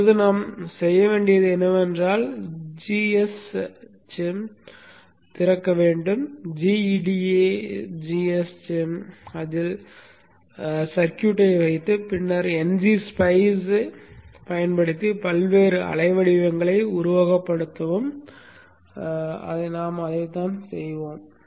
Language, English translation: Tamil, Next what we have to do is open G S Shem, GEDS G EDS G G S, put the circuit in it and then use NG Spice to simulate and see the various waveforms and that's what we will do